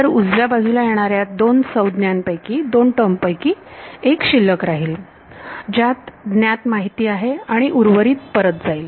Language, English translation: Marathi, So, of the two terms that come on the right hand side one remains, which has a known information and the rest goes back right